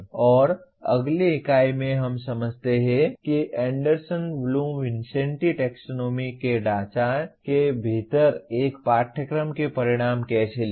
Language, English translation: Hindi, And in the next unit we understand how to write outcomes of a course within the framework of Anderson Bloom Vincenti taxonomy